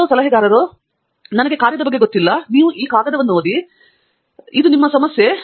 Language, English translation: Kannada, Some advisors will say, I am not going to be hands on, you read the paper, it’s your problem